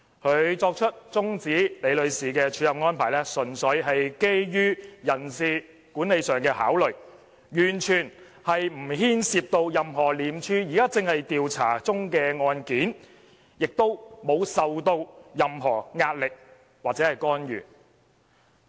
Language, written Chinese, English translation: Cantonese, 他作出終止李女士署任的安排，純粹基於人事管理上的考慮，完全不牽涉到任何廉署現正調查中的案件，亦沒有受到任何壓力或干預。, His decision to terminate Ms LIs acting appointment was based entirely on personnel management considerations with nothing whatsoever to do any ongoing ICAC investigations and any pressure or intervention